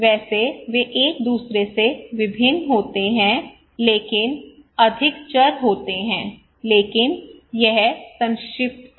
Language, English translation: Hindi, Well they vary from each other there are more variables, but that was the concise one